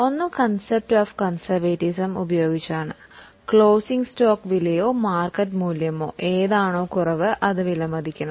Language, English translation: Malayalam, One is because of the application of the concept of conservatism, the closing stock is to be valued at cost or market value whichever is lesser